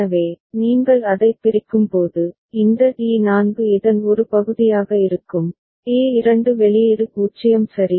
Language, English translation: Tamil, So, when you split it, so this T4 will be part of this one, a2 where the output is 0 ok